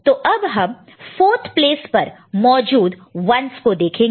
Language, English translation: Hindi, So, we shall look at 1s present in the 4th place, right